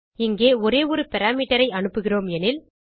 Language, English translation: Tamil, And here we are passing only one parameter